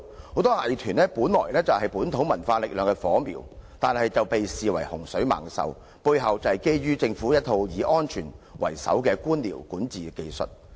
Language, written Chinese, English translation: Cantonese, 很多藝團本是本土文化力量的火苗，但卻被視為洪水猛獸，背後正是基於政府一套以安全為首的官僚管治技術。, Many arts groups are originally the sparkling flames of local cultural power but they are regarded as troublemakers under the bureaucratic governance by the Government which considers that safety is of the first importance